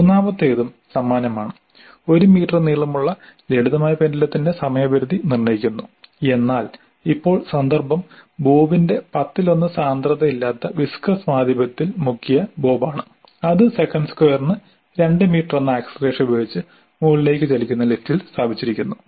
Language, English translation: Malayalam, The third one is also same determine the time period of a simple pendulum of length 1 meter, but now the context is the bob dipped in a non viscous medium of density one tenth of the bob and is placed in lift which is moving upwards with an acceleration of 2 meters per second square